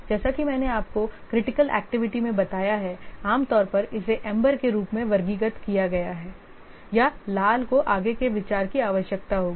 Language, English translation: Hindi, As I have already told you, any critical activity normally it is as is classified as umber or red will require further consideration